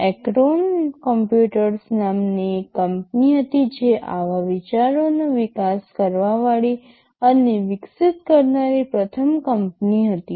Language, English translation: Gujarati, There was a company called Acorn computers which that was the first to develop and evolve such ideas